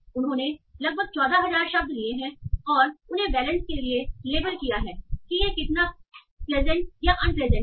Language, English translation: Hindi, So they have taken roughly 14,000 words and they have labeled them for the valence, that is how pleasant or unpleasant this is arousal